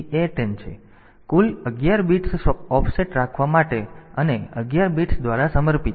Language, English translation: Gujarati, So, total 11 bits are devoted for keeping the offset and by 11 bits